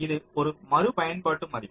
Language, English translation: Tamil, so this an iterative value